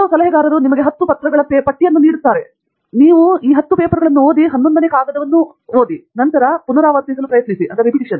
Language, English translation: Kannada, There are some advisors, who would go to the extent of giving you a list of 10 papers, you read these 10 papers and read this 11th paper, and then try to reproduce; they would do that